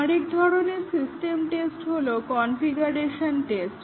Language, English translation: Bengali, Another type of system test is the configuration testing